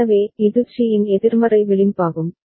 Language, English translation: Tamil, So, this is the negative edge of C